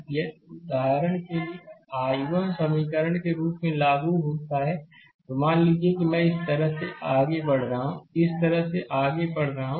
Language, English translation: Hindi, If you apply as a for example, one I 1 equation, I I am writing suppose I am moving like this, I am moving like this